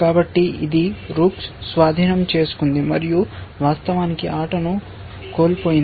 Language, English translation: Telugu, So, it captured the rook and actually lost the game essentially